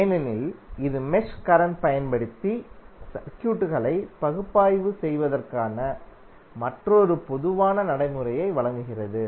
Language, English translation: Tamil, Because it provides another general procedure for analysing the circuits, using mesh currents